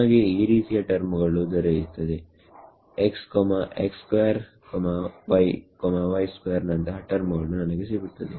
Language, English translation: Kannada, We will get a term like x, x square y y square these are the terms I will get